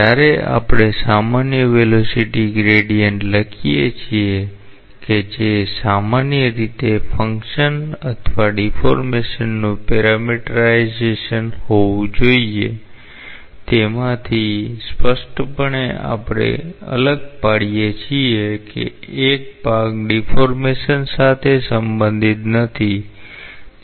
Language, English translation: Gujarati, So, when we write the general velocity gradient which should be in general a function or a parameterization of the deformation out of that clearly we distinguish that one part is not related to deformation